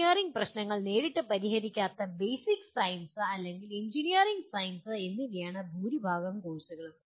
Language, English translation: Malayalam, Majority of courses belong to either Basic Sciences or Engineering Sciences which do not address engineering problems directly